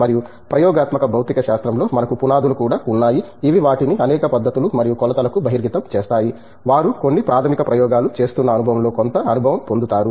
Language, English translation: Telugu, And, we also have foundations in experimental physics which exposes them to a range of techniques and measurements; they also get some hands on experience doing some basic experiments